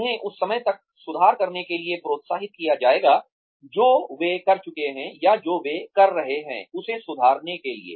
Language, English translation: Hindi, They will be encouraged to improve, what they have been, or to improve upon, what they have been doing, till that time